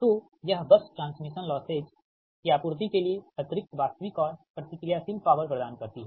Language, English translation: Hindi, so this bus provides the additional real and reactive power to supply the transmission losses, that is the slack bus